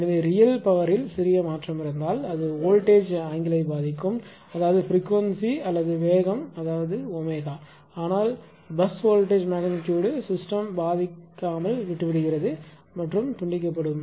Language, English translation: Tamil, So, if there is a small change in real power then it will affect that your what you call the voltage angle; that means, the frequency here or here is the speed that is omega right , but leaves the bus voltage magnitude essentially unaffected of the system, there will be decoupled